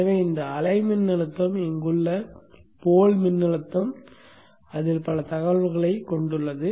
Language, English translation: Tamil, So this way the voltage, the pool voltage here has so much information in it